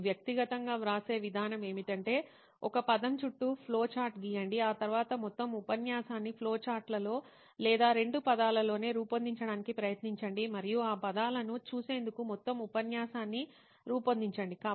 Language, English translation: Telugu, The way I write personally is I write a word I draw flowcharts to around that word, then try to make up the whole lecture in flowcharts or couple of words itself and then make up the whole lecture for myself looking at those words